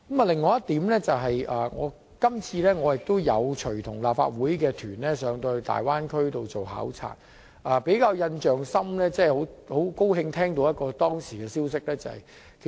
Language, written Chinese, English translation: Cantonese, 第三點，我今次亦有隨同立法會考察團前往大灣區考察，其中很高興聽到一則好消息。, Third I also joined the recent fact - finding delegation of the Legislative Council to the Bay Area and I was very happy to hear a piece of good news during the visit